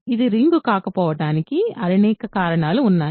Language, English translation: Telugu, There are several reasons why it is not a ring